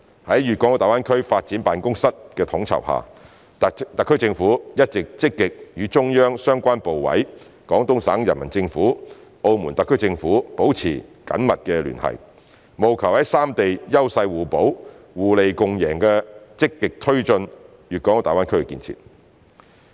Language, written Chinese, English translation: Cantonese, 在粵港澳大灣區發展辦公室的統籌下，特區政府一直積極與中央相關部委、廣東省人民政府、澳門特區政府保持緊密聯繫，務求在三地優勢互補、互利共贏下積極推進粵港澳大灣區建設。, Under the coordination of the Guangdong - Hong Kong - Macao Greater Bay Area Development Office the SAR Government has all along been actively maintaining close liaison the relevant central ministriesdepartments the Peoples Government of Guangdong Province and the Macao SAR Government with a view to proactively taking forward the development of GBA under the principles of complementarity and mutual benefits